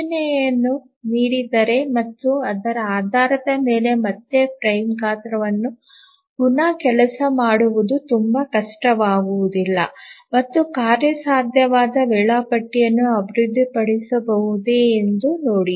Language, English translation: Kannada, Just given the indication and based on that it don't be really very difficult to again rework on the frame size and see that if a feasible schedule can be developed